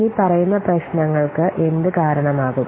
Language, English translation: Malayalam, What could the following problems